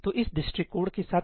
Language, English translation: Hindi, So, what is wrong with this approach